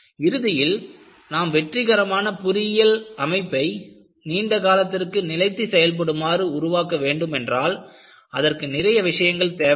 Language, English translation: Tamil, So, finally, if you want to have a successful design of engineering structures, for long term life, requires many things